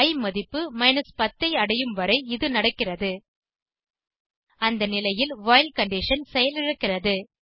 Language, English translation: Tamil, This goes on till i reaches the value 10, At this point the while condition fails